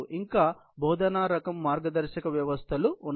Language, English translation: Telugu, Then also, there are teaching type guidance systems